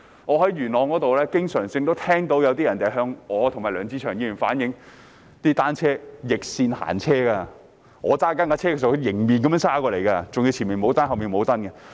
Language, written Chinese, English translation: Cantonese, 我在元朗經常聽到有人向我和梁志祥議員反映市民踏單車時逆線行車，當我駕車時他們可以迎面而來，還要單車的前後都沒有安裝指示燈。, I often hear people in Yuen Long telling me and Mr LEUNG Che - cheung that people go in the opposite direction when riding a bicycle . They can head towards me when I am driving and there are no lights in the front and at the back of the bicycle